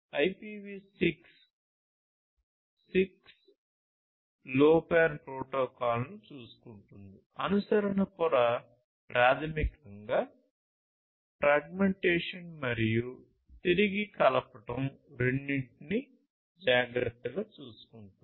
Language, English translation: Telugu, So, this IPv6 will take care of not IPv6 the 6LoWPAN protocol, the adaptation layer will basically take care of both the fragmentation as well as the reassembly